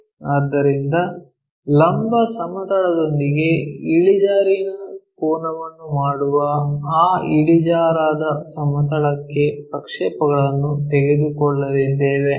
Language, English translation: Kannada, So, we are going to take projections onto that inclined plane that inclined plane making inclination angle with vertical plane